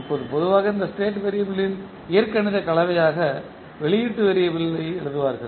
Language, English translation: Tamil, Now, in general, you will write output variable as algebraic combination of this state variable